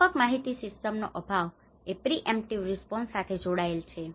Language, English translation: Gujarati, Lack of comprehensive information systems linked to pre emptive response okay